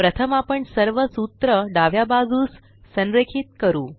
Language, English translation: Marathi, Let us first align all the formulae to the left